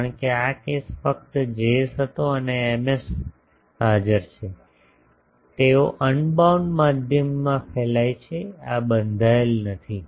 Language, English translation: Gujarati, Because this case was just a Js and Ms present they are radiating in an unbounded medium not this is bounded that is bounded